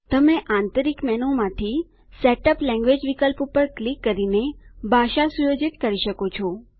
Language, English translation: Gujarati, You can setup language by clicking Setup language option from the Internal Menu